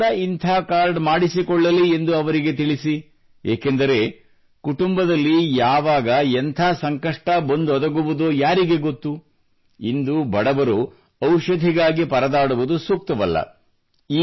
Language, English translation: Kannada, And do tell them that they should also get such a card made because the family does not know when a problem may come and it is not right that the poor remain bothered on account of medicines today